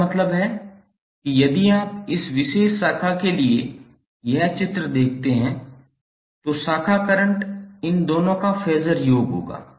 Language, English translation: Hindi, That means if you see this figure for this particular branch, the branch current would be phasor sum of these two